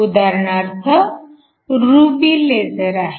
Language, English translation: Marathi, you have ruby lasers